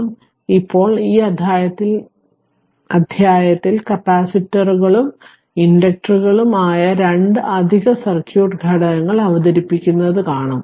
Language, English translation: Malayalam, Now, we have now in this chapter we will see introduce two additional circuit element that is capacitors and inductors